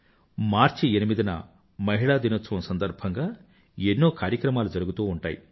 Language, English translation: Telugu, Every year on March 8, 'International Women's Day' is celebrated